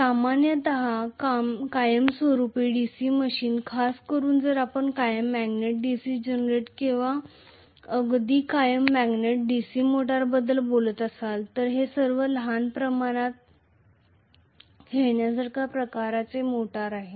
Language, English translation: Marathi, Generally, permanent magnet DC machine, especially if we are talking about permanent magnet DC generator or even permanent magnet DC motor they are all small scale toy kind of motors